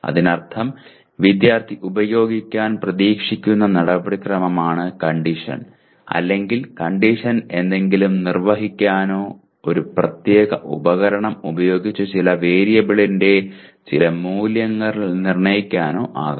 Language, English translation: Malayalam, That means the procedure the student is expected to use is the condition or the condition could be the, perform or determine some value of some variable using a particular piece of equipment